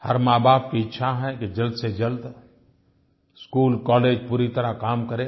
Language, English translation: Hindi, Every parent wants the schools and colleges to be functioning properly at the earliest